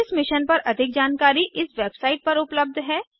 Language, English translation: Hindi, More information on this mission is available at this web site